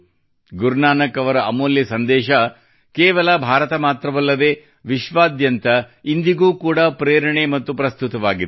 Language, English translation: Kannada, Guru Nanak Ji's precious messages are inspiring and relevant even today, not only for India but for the whole world